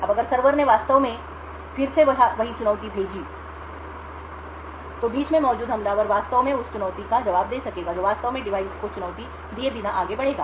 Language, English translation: Hindi, Now if the server actually sent the same challenge again, the man in the middle the attacker would be able to actually respond to that corresponding challenge without actually forwarding the challenge to the device